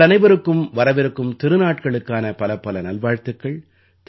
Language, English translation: Tamil, My very best wishes to all of you for the forthcoming festivals